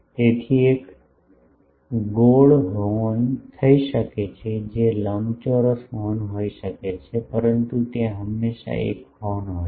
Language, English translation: Gujarati, So, that may be a circular horn that may be a rectangular horn, but the there is always a horn